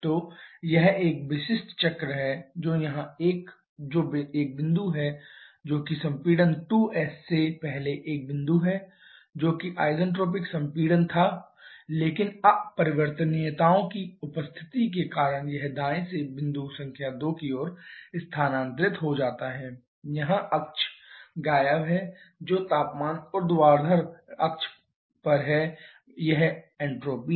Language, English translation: Hindi, So, this is the typical cycle which is a here one is the point before compression 2's refers to a point had there been isentropic compression but because of the presence of irreversibility’s it shifts towards right to point number 2 here the axes are missing which is temperature the vertical axis it is entropy